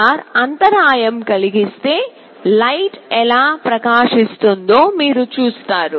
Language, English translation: Telugu, You see if LDR is interrupted, the light is glowing